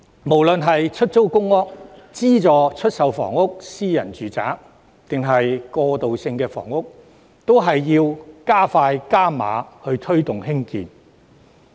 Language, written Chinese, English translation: Cantonese, 無論是出租公屋、資助出售房屋、私人住宅還是過渡性房屋，均必須加快、加碼推動和興建。, We must expedite construction and increase production of various types of housing units be they public rental housing subsidized sale housing flats private housing or transitional housing